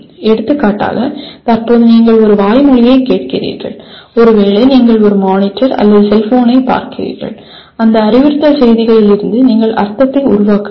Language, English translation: Tamil, For example at present you are listening to something which is a verbal and possibly you are seeing on a monitor or a cellphone and you have to construct meaning from those instructional messages